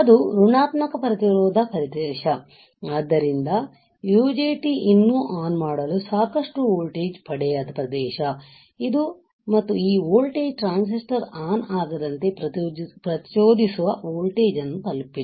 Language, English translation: Kannada, Negative resistance region; so, what is kind of region that this is the region where the UJT does not yet receive enough voltage to turn on and this voltage hasn't reached the triggering voltage so that the transistor will not turn on